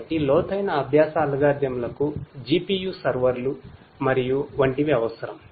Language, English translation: Telugu, So, deep learning algorithms will require GPU servers and the like